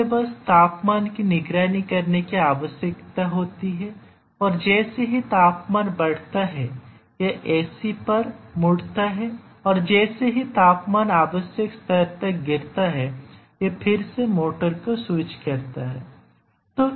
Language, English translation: Hindi, The task is very simple it just needs to monitor the temperature and as soon as the temperature rises it turns on the AC and as the temperature falls to the required level it again switches up the motor